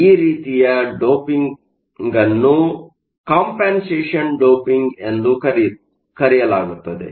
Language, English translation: Kannada, So, this type of doping with both kinds of dopants is called compensation doping